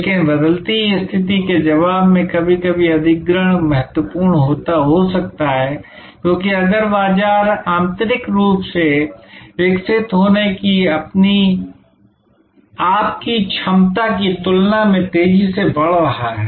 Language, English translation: Hindi, But, in responding to the changing condition sometimes acquisition may be important, because if the market is growing at a rate faster than your ability to grow internally